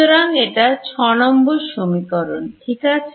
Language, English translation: Bengali, So, this becomes my equation 5